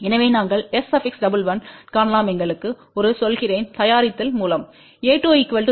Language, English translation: Tamil, So, we can find S 11 by making let us say a 2 equal to 0